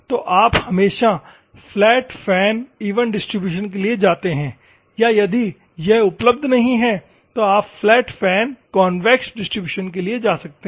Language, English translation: Hindi, So, you always go for flat fan even distribution or if it is not available, you can go for flat fan convex distribution also you can go